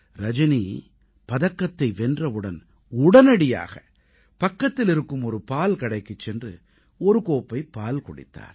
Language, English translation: Tamil, The moment Rajani won the medal she rushed to a nearby milk stall & drank a glass of milk